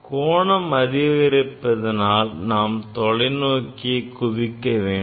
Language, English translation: Tamil, When angle increases you have to adjust the telescope